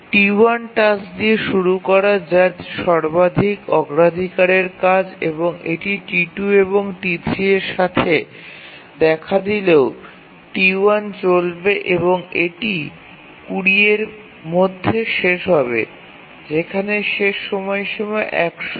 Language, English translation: Bengali, T1 is the highest priority task and even if it occurs with T2, T3, T1 will run and it will complete by 20, whereas the deadline is 100